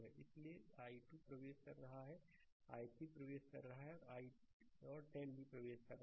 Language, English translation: Hindi, So, i 2 is entering i 3 is entering and 10 is also entering